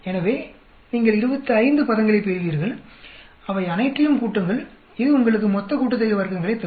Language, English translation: Tamil, So, you will get 25 terms, add up all of that, that will give you total sum of squares